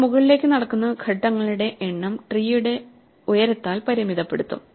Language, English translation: Malayalam, So, the number of steps you walk up will be bounded by the height of the tree